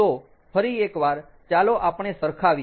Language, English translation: Gujarati, so once again, lets correlate: ah